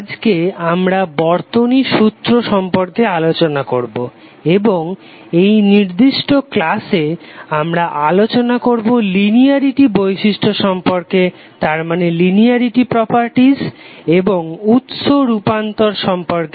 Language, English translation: Bengali, So today we will start the discussion on network theorem, and in this particular lecture we will discuss about the linearity properties and the source transformation